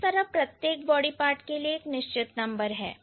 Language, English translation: Hindi, So, each of your body part will have a certain number